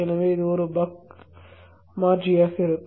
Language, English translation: Tamil, So it will be a buck converter